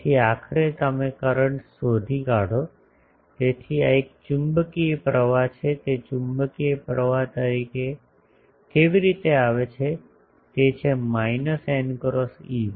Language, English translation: Gujarati, So, ultimately you find the current so this is a magnetic current, how that magnetic current comes; it is that minus n cross E1